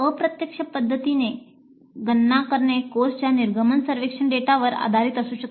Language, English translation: Marathi, So, the computing the indirect method can be based on the course exit survey data